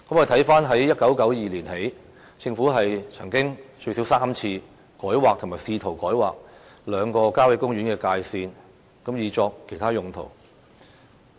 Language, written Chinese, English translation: Cantonese, 自1992年起，政府曾經最少3次改劃或試圖改劃兩個郊野公園的界線，以作其他用途。, Since 1992 the Government has re - delineated or attempted to re - delineate the boundaries of two country parks at least three times to achieve other uses